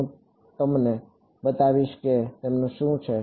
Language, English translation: Gujarati, I will show you what their